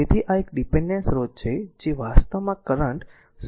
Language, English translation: Gujarati, So, this is a dependent source that is ah i actually current is 0